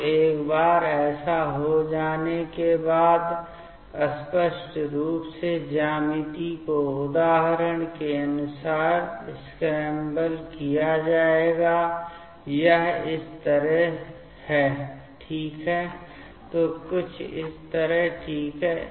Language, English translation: Hindi, So, once this will happen, then obviously the geometry will be scrambled as per example here it is like this ok, so something like this ok